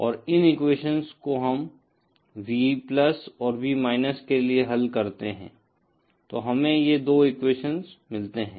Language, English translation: Hindi, And from these equations if we solve for V+ and V , we get these 2 equations